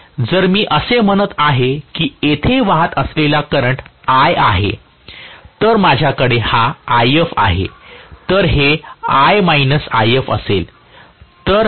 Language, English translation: Marathi, So, if I say that the current flowing here is I, I will have, this is If whereas this will be I minus If, right